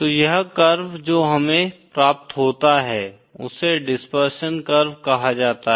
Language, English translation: Hindi, So this curve that we obtained is called as a dispersion curve